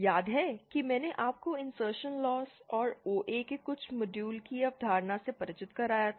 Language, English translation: Hindi, Recall I had introduced you to the concept of insertion loss and oa few modules back